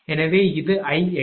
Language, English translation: Tamil, So, this is I x c